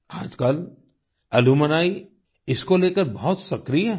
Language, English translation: Hindi, Nowadays, alumni are very active in this